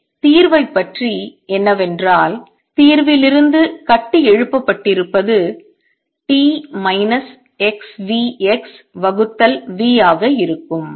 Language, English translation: Tamil, Let us look at this is a function of t minus x over v